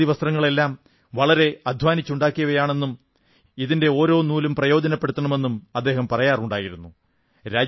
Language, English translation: Malayalam, He used to say that all these Khadi clothes have been woven after putting in a hard labour, every thread of these clothes must be utilized